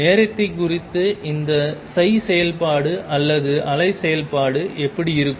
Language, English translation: Tamil, With time this is how the psi function or the wave function is going to look like